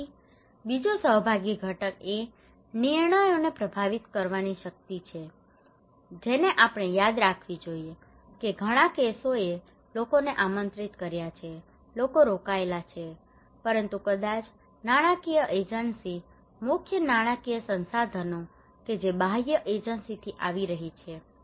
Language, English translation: Gujarati, Then another participatory component is the power to influence the decisions we should remember that many cases people are invited, people are engaged, but maybe the financial agency the major financial resources that is coming from the external agencies